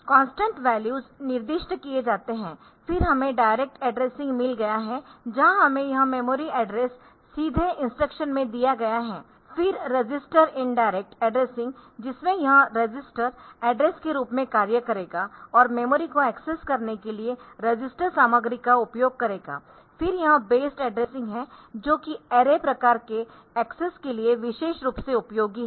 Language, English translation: Hindi, The constant values are specified, then we have got direct addressing where we have got this memory address given directly in the instruction, then register indirect addressing in which this register will be acting as the address and the register content will be used to access the memory, then this based addressing where it is similar for it is particularly useful for array type of access